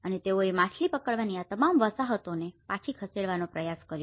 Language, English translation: Gujarati, And they have tried to move back all these fishing settlements